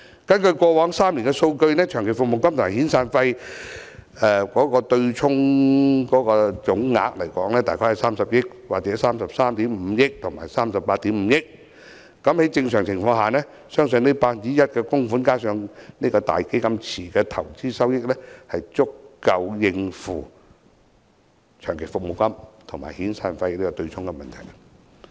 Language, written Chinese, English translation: Cantonese, 根據過往3年的數據，長期服務金及遣散費對沖總額分別大概30億元、33億 5,000 萬元及38億 5,000 萬元，在正常情況下，相信 1% 的供款加上"大基金池"的投資收益，足夠應付長期服務金及遣散費的對沖問題。, According to estimates on the total salary expenditures in Hong Kong now an annual amount of the 1 % extra contribution is about 5.4 billion; and according to the data of the past three years about 3 billion 3.35 billion and 3.85 billion were offset for LSP and SP respectively . They believe that under normal circumstances their 1 % contributions together with investment returns from the cash pool savings should be adequate to solve the MPF offsetting problem . The proposal will not undermine any rights and interests of employees